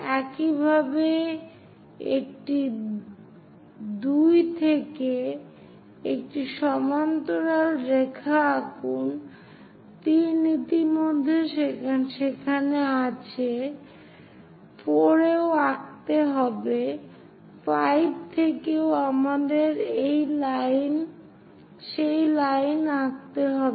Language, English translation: Bengali, Similarly, a 2 draw a parallel line; 3 already there; at 4 also draw; 5 also we have to draw that line